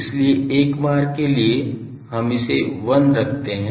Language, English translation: Hindi, So, for the time being these are put to 1